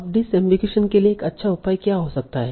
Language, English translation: Hindi, Now what can be good measure for disambligation